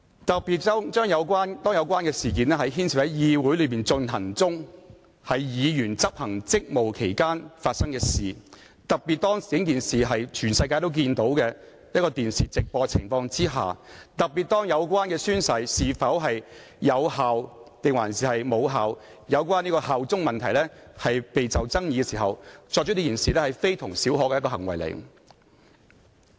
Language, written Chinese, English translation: Cantonese, 特別是事件是在議會內發生，且在議員執行職務期間發生，更是全球經由電視直播可以看到的，還正值宣誓屬有效或無效、是否效忠等問題備受爭議之時，這事件關乎非同小可的一種行為。, This is particularly so for the incident took place in the legislature at a time when the Member was discharging his duties . Worse still the incident was watched worldwide through live television broadcast and occurred amid the controversy over the effectiveness of oath - taking and allegiance of certain Members . Against this background the behaviour in question in the incident is not a trivial matter